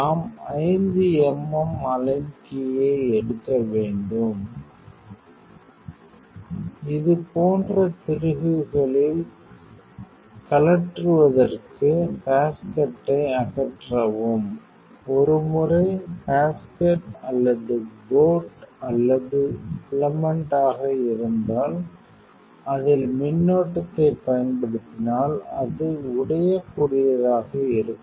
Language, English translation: Tamil, We have to take the align key 5 mm just lose loosening in the screws like this, you remove basket; once, the basket is basket or boat or filament once having the applying current it will brittle